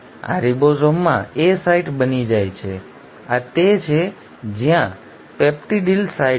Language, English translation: Gujarati, This becomes the A site in the ribosome; this is where is the peptidyl site